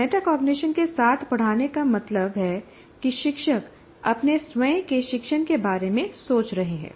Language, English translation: Hindi, Teaching with metacognition means teachers think about their own thinking regarding their teaching